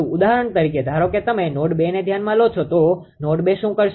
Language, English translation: Gujarati, For example, suppose you consider node 2 right what we will do node 2